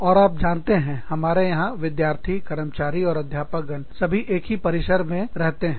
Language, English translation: Hindi, And, you know, we have students, and staff, and faculty, everybody, living in the same campus